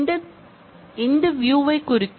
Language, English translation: Tamil, This will refer to this view